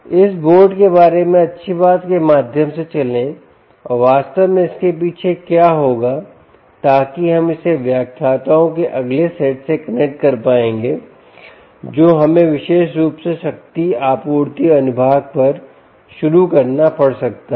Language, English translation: Hindi, let us run through the nice thing about this board and what exactly goes behind, so that we will be able to connect it to the next set of lecturers ah, which we may have to begin, ah, ah, specifically on the power supply section